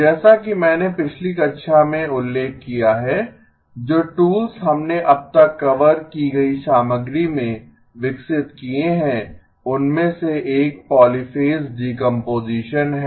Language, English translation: Hindi, As I mentioned in the last class, the tools that we have developed in the material covered so far one of them is polyphase decomposition